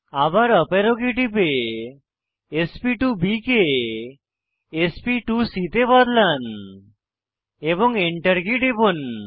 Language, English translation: Bengali, Again, press up arrow key and change sp2b to sp2c, press Enter